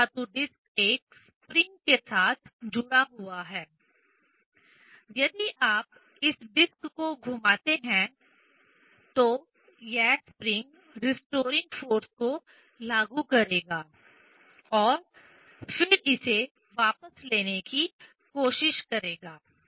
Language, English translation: Hindi, This metal disc is connected with a spring; if you just rotate this disc, this spring will apply the restoring force and then it will try to take it back